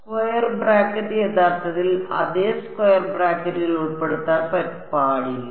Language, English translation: Malayalam, Square bracket actually yeah square bracket should not include the